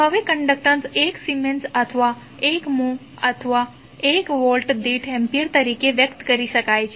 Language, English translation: Gujarati, So, the conductance now can be expressed as 1 Siemen, or 1 mho is nothing but 1 Ampere per Volt